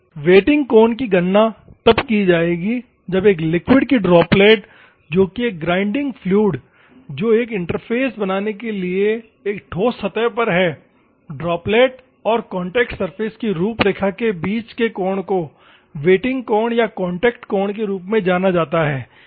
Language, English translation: Hindi, The wetting angle will be calculated when the droplet of a liquid which is nothing but a grinding fluid resting on a solid surface to create an interface, the angle between droplet and contact surface outline is known as wetting angle or contact angle